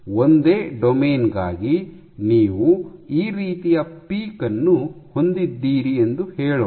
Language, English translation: Kannada, So, for a single domain let say you have a peak like this